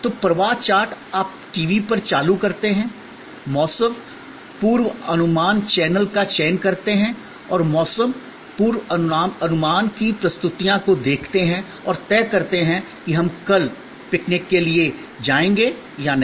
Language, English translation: Hindi, So, the flow chart is you turn on the TV, select of weather forecast channel and view the presentations of weather forecast and decide whether we will go and for the picnic tomorrow or not